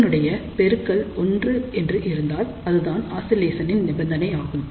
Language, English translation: Tamil, So, if the product is equal to 1 that will be the condition for the oscillation